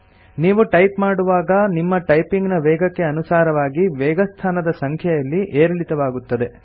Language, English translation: Kannada, As you type, the number increases or decreases based on the speed of your typing